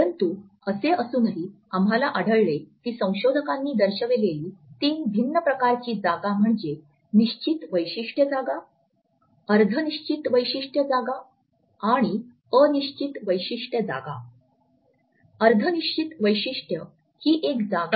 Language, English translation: Marathi, But despite it we find that the three different types of space which researchers have pointed out are the fixed feature space, the semi fixed feature space and the non fixed feature space